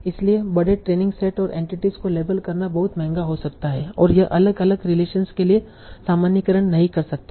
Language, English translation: Hindi, So labeling large training set and the entities might be very very expensive and it may not generalize to different relations